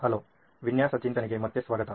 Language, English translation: Kannada, Hello and welcome back to design thinking